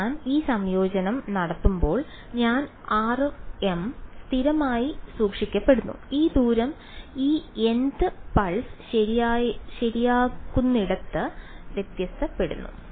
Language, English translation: Malayalam, So, when I am doing this integration I am r m is being held constant this distance is what is varying over where over this n th pulse correct